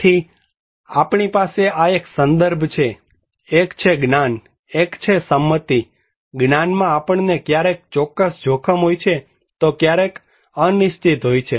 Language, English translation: Gujarati, So, we have this context one is the knowledge, one is the consent; in knowledge, we have risk sometimes certain, sometimes uncertain